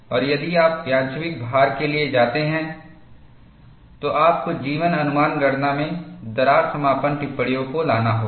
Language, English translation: Hindi, And, if you go for random loading, you will have to bring in the observations of crack closure into your life estimation calculation